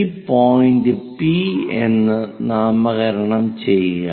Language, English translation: Malayalam, So, call this point as P